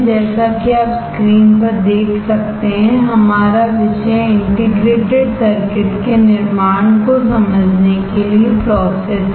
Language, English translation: Hindi, The topic is if you can see the screen process to understand fabrication of integrated circuits